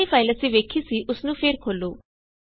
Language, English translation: Punjabi, Now reopen the file you have seen